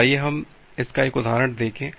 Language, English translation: Hindi, So, let us see an example of this